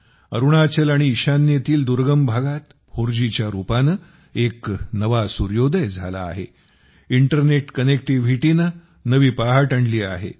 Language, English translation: Marathi, There has been a new sunrise in the form of 4G in the remote areas of Arunachal and North East; internet connectivity has brought a new dawn